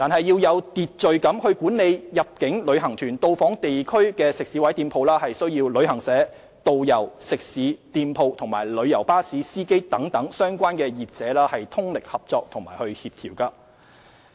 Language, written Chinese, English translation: Cantonese, 要有秩序管理入境旅行團到訪地區的食肆及店鋪，需要旅行社、導遊、食肆、店鋪及旅遊巴士司機等相關業者通力合作與協調。, The orderly management of visits by inbound tour groups to restaurants and shops in the community calls for close cooperation and coordination among trade practitioners including travel agents tourist guides restaurants shops coach drivers etc